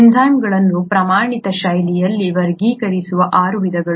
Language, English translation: Kannada, The six types that the enzymes are classified into in a standardised fashion